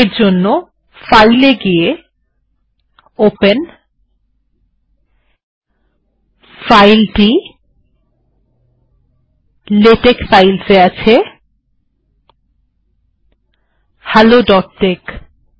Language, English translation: Bengali, Okay go here, File, Open, I have it in latex files, hello dot tex